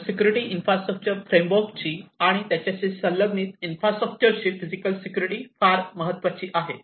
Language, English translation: Marathi, So, security the physical security of these infrastructure the frameworks, and the associated infrastructure are very important